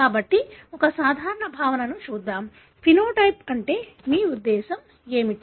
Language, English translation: Telugu, So, let us look into one simple concept, what do you mean by phenotype